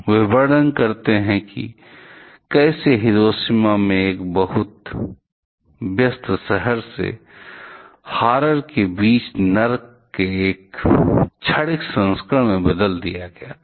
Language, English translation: Hindi, They describes how Hiroshima from a quite busy town was transformed to a momentary version of Hell among the horror